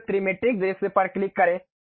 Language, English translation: Hindi, Now, click the Trimetric view